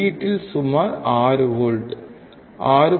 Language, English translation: Tamil, We see about 6 volts 6